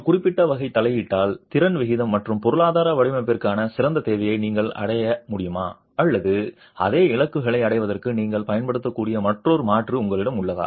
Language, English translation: Tamil, Are you able to achieve with a certain type of intervention, a better demand to capacity ratio and economical design or do you have another alternative which you could use for achieving the same goals